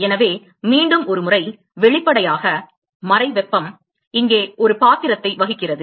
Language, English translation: Tamil, So, once again; obviously, the latent heat plays a role here